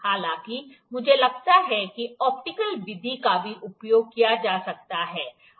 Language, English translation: Hindi, However, I think also the optical method can also be used